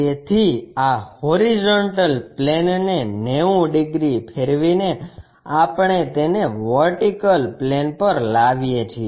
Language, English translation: Gujarati, So, by rotating these HP 90 degrees we bring it to the plane on VP